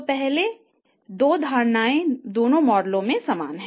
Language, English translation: Hindi, So these first two assumptions are same in both the models